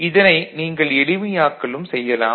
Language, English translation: Tamil, You can further simplify it